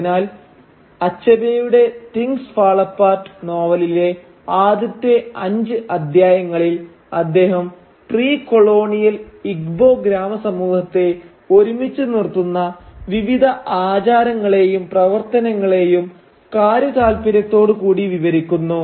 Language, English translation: Malayalam, Thus for the first five chapters or so for instance of Achebe’s novel Things Fall Apart, he painstakingly details the various rituals and actions that hold a precolonial Igbo village society together